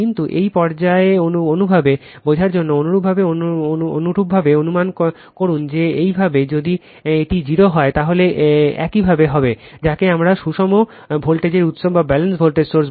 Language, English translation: Bengali, But, for the sake of your understanding at this stage you just assume that your if this is 0, there will be your, what we call for balanced voltage source V a n plus V b n plus V c n is equal to 0 right